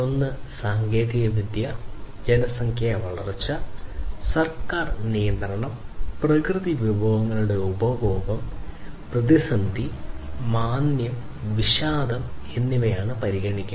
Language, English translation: Malayalam, One is technology, growth of population, government regulation, consumption of natural resources, and consideration of crisis, recession, and depression